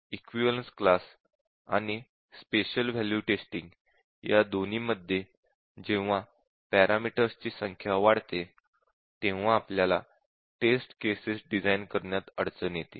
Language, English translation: Marathi, One thing is that in both equivalence class testing and in a special value testing, when the number of parameters arises, we will have difficulty in designing the test cases